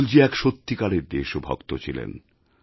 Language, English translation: Bengali, Atalji was a true patriot